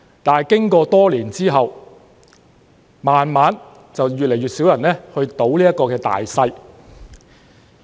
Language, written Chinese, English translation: Cantonese, 可是，經過多年後，逐漸越來越少人"賭大細"。, However after several years fewer and fewer gamblers played the game of Sic Bo